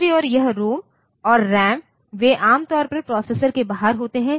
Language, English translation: Hindi, On the other hand this ROM and RAM, they are typically outside the processor